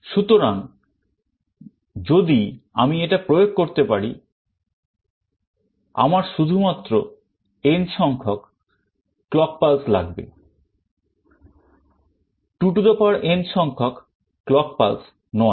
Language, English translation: Bengali, So, if I can implement this I need only n clock pulses and not 2n clock pulses